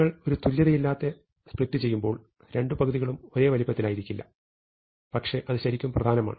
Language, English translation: Malayalam, At some point when you do an unequal’s split, the two halves will not be the same size, but that does not really matter